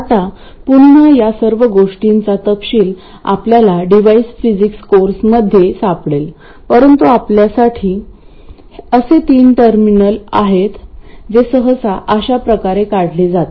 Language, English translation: Marathi, Now again the details of all of these things you may find in device physics course but for us there are three terminals it is usually drawn like this